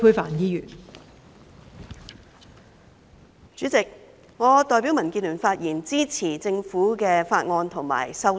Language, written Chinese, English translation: Cantonese, 代理主席，我代表民主建港協進聯盟發言，支持政府的法案和修正案。, Deputy President I speak on behalf of the Democratic Alliance for the Betterment and Progress of Hong Kong DAB in support of the Bill and the amendments of the Government